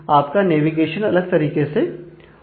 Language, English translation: Hindi, So, you are navigation may happen in in a different way